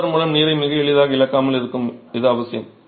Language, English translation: Tamil, This is essential to ensure that water is not lost by the mortar very easily